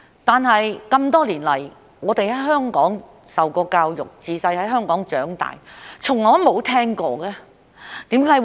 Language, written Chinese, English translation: Cantonese, 可是，多年來，我們在香港受教育，自小在香港長大，卻從來都沒有聽過。, However for we who have received many years of education and grew up in Hong Kong we have never heard of it